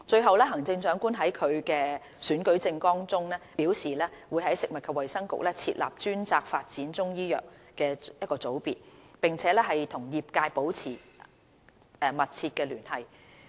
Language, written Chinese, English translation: Cantonese, 三行政長官在其選舉政綱中表示會在食物及衞生局設立專責發展中醫藥的組別，並與業界保持密切聯繫。, 3 The Chief Executive has stated in her Manifesto that a unit dedicated to the development of Chinese medicine would be set up under the Food and Health Bureau and the unit should maintain close liaison with the sector